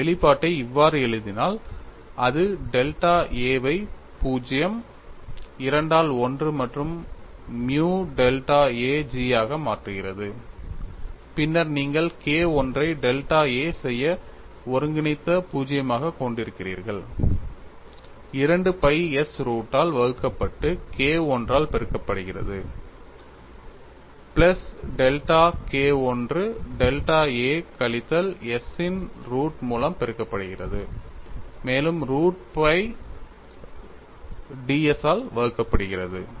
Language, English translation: Tamil, If I write the expression as such, it turns out to be limit delta a tends to 0 2 by 1 plus nu delta a into g, then you have the integral 0 to delta a K 1 divided by root of 2 pi s multiplied by K 1 plus delta K 1 multiplied by root of delta a minus s divided by root of 2 pi into d s